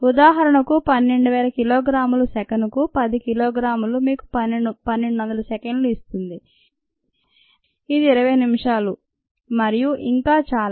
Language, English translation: Telugu, for example, twelve thousand ah kilogram by ten kilogram per second gives you twelve ah by thousand two hundred seconds, which is twenty minutes, and so on